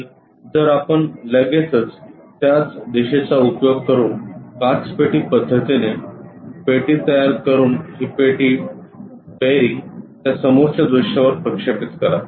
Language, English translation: Marathi, And if we are straight away picking that turn kind of direction construct a box using glass box method project this box ah project this bearing onto that front view